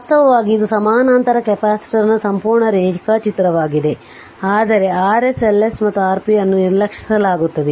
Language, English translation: Kannada, This is actually complete diagram of a parallel capacitor, but R s L s and R p will be neglected